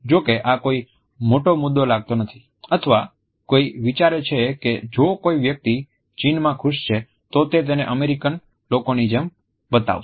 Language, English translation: Gujarati, While this might not seem like a large issue or one would think that if a person is happy in China, they will show it the same way as if Americans do